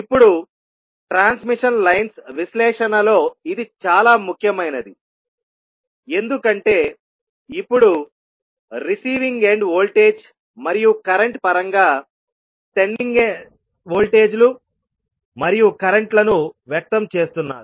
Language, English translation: Telugu, Now this is very important in the analysis of transmission lines because now they are expressing the sending end voltages and currents in terms of receiving end voltage and current so because of this particular property we call them as a transmission parameters